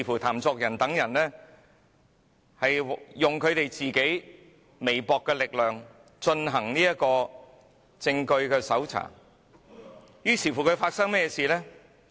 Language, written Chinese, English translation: Cantonese, 譚作人等利用自己微薄的力量，搜查證據，但發生甚麼事情呢？, TAN Zuoren and other people used their own humble strength to search for evidence but then what happened?